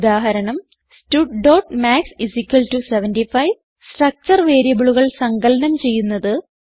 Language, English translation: Malayalam, Eg: stud.maths = 75 And to add the structure variables